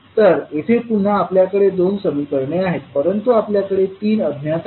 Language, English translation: Marathi, So here again, you have 2 equations, but you have 3 unknowns